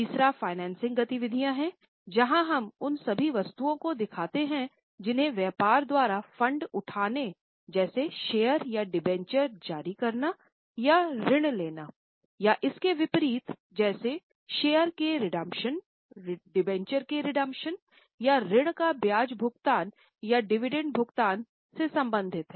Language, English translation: Hindi, Third one is financing activities where we show all those items related to raising of funds by the business like issue of shares or issue of dementia or taking loan and the reverse of this, that is redemption of share or redemption of dementia or repayment of loan, interest or dividend paid thereon